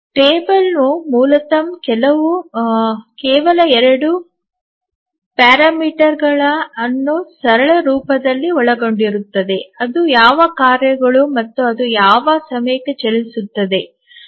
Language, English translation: Kannada, This table basically contains only two parameters in the simplest form that what are the tasks and what are the time for which it will run